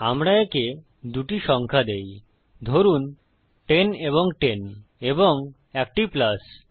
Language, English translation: Bengali, Lets us just give it two numbers say 10 and 10 and a plus